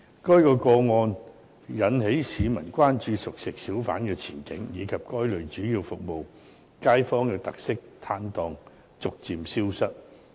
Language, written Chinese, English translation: Cantonese, 該個案引起市民關注熟食小販的前景，以及該類主要服務街坊的特色攤檔逐漸消失。, This case has aroused public concern over the prospect of cooked food hawkers and the gradual disappearance of such category of stalls with special characteristics which mainly serve residents in the neighbourhood